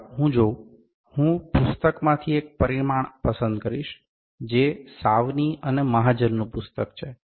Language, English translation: Gujarati, Let me see, I will pick one dimension from the book that is the book by Sawhney and Mahajan